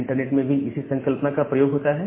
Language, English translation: Hindi, So, the similar concept is being used in the internet